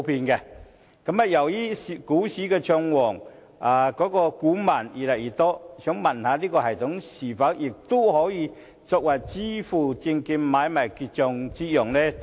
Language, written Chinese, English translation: Cantonese, 由於股市暢旺，股民越來越多，請問這系統是否也可用作證券買賣結帳？, Given the vibrant stock market with an increasing number of shareholders may I ask if this system can be used for the settlement of securities trading?